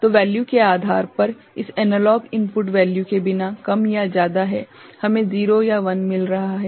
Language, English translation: Hindi, So, depending on the value without this analog input value is more or less right we are getting 0 or 1